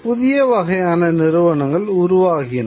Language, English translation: Tamil, New kind of institutions come into being